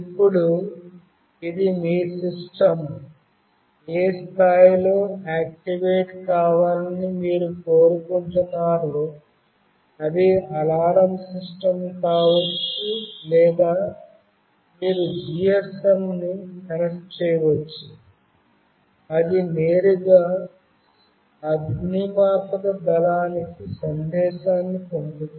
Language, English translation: Telugu, Now, this is something you have to think upon like at what level you want your system to get activated, either it can be an alarm system or you can connect a GSM that will directly send a message to fire brigade